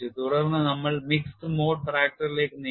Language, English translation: Malayalam, Now we move on to our next topic mixed mode fracture